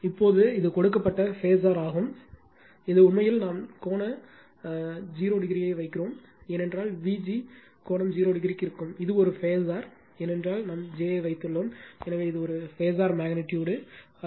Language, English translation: Tamil, This is the given phasor this is actually then we put angle 0 degree, because V g I told you angle 0 degree, this is a phasor because we have put j, so it is it is phasor quantity not magnitude